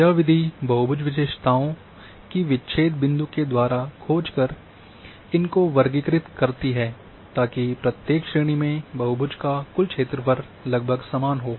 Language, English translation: Hindi, This method classifies polygon features by finding breakpoints so that the total area of the polygon in each class is approximately the same